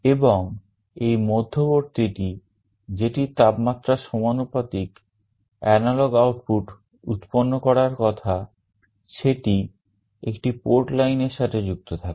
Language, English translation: Bengali, And the middle one that is supposed to generate the analog output proportional to the temperature is connected to one of the port lines